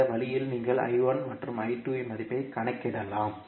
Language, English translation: Tamil, So, this way you can calculate the value of I1 and I2